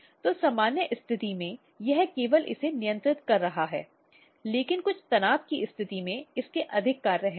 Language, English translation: Hindi, So, under normal condition it is only regulating this, but in some stress condition it has more functions